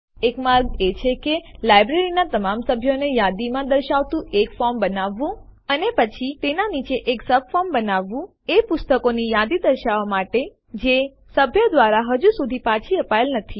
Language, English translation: Gujarati, One way is to create a form listing all the members in the library And then creating a subform below it, to list those books that have not yet been returned by the member